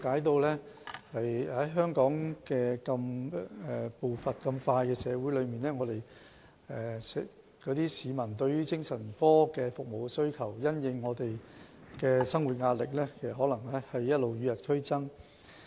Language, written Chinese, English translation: Cantonese, 在香港這個步伐急速的社會裏，當局非常了解市民對精神科服務的需求，可能會因應生活壓力而與日俱增。, The authorities understand that in Hong Kong where the pace of life is rapid the demand for psychiatric services may increase with the pressure of life